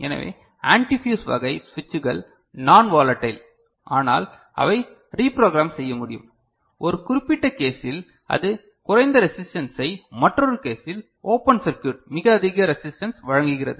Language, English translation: Tamil, So, antifuse type switches are non volatile, but they cannot be reprogrammed and when in a particular case it is offering low resistance in another case it offers open circuit, very high resistance ok